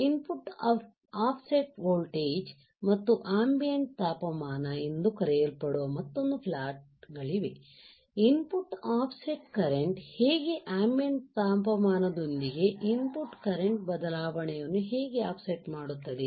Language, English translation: Kannada, There are another plots called input offset voltage versus ambient temperature, how input offset current, how input offset current changes with ambient temperature